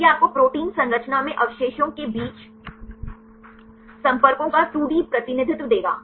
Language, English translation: Hindi, So, this will give you the 2D representation of the contacts between residues in protein structure right